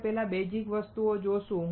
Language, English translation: Gujarati, We will see basic things first